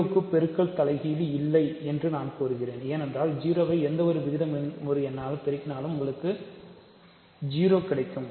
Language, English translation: Tamil, I am claiming that 0 does not have a multiplicative inverse that is because if we multiply 0 with any rational number you get 0